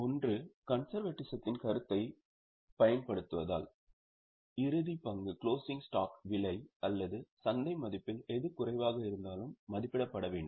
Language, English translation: Tamil, One is because of the application of the concept of conservatism, the closing stock is to be valued at cost or market value whichever is lesser